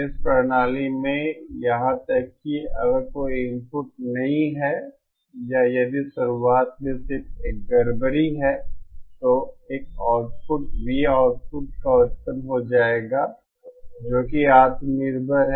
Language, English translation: Hindi, In this system, even if there is no input or if there is just a disturbance at the beginning, then an output V output will be produced which is self sustain